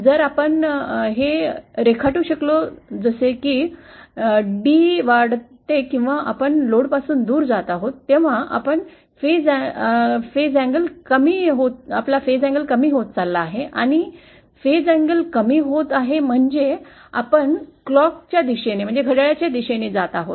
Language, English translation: Marathi, So if we can draw this, as d increases or we are going away from the load, our phase angle keeps on decreasing and phase angle decreasing means we are moving in a clockwise direction